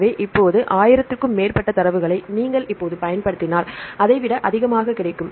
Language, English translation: Tamil, So, more than 10,000 data right now if you use now you will get more than that